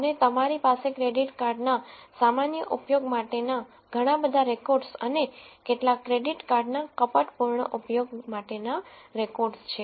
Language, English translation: Gujarati, And you have lots of records for normal use of credit card and some records for fraudulent use of credit card